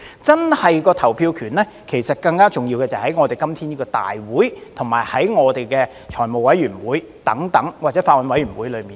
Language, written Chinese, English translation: Cantonese, 真正的投票權，其實更重要的就是在今天的大會，以及財務委員會或法案委員會等。, As a matter of fact the real right to vote exists in a Council meeting that we are holding today and the Finance Committee or bills committees etc which is actually more important